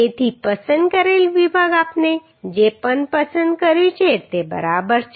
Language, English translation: Gujarati, So the chosen section whatever we have chosen is ok